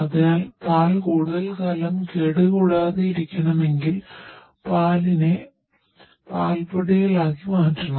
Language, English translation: Malayalam, If we want to preserve the milk for a longer time, we should convert the milk into the milk powders